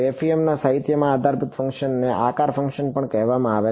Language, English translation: Gujarati, In the FEM literature these basis functions are also called shape functions